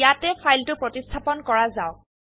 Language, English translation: Assamese, Here let us replace the file